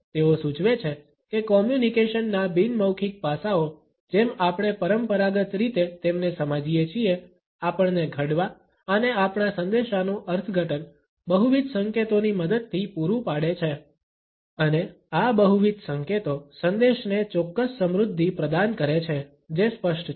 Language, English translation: Gujarati, They suggest that the non verbal aspects of communication as we traditionally understand them, provide us to form as well as to interpret our messages with the help of multiple cues and these multiple cues provide a certain richness to the message which is unequivocal